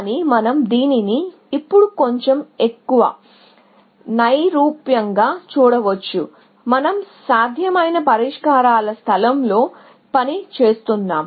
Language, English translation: Telugu, But, we can view this now, a little bit more, abstractly, in the sense that we are working in the space of possible solutions